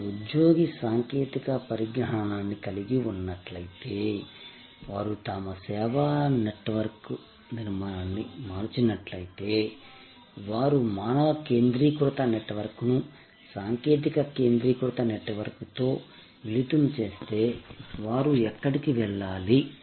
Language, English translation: Telugu, Should they employee technology, should they change the structure of their service network, should they blend the human centric network with technology centric network, where should they go